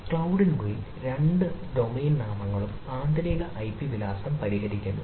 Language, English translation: Malayalam, within the cloud, both the domain names resolve the internal ip address